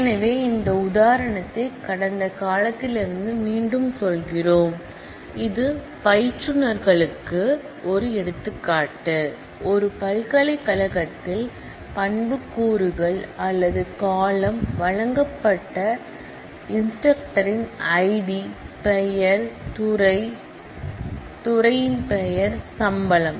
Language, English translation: Tamil, So, we again repeat this example from past, this is an example of instructors, in a university a table of instructors given by attributes or columns I D name, department name and salary